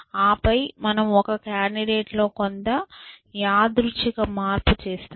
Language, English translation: Telugu, And then, we make some random change in one candidate